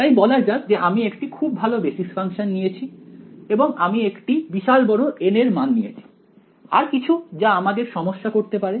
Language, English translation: Bengali, So, let us say that I have got very good basis function I have chosen a large value of N anything else that could be a problem over here